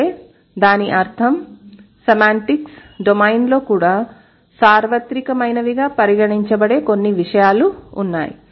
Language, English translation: Telugu, That means there are certain things even in the semantics domain which is going to be considered as universal